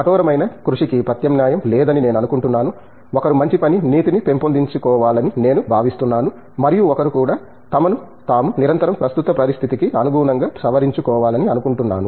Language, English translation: Telugu, I think there is no replacement for hard work, I think one should develop good set of work ethics and I think one also should continuously update themselves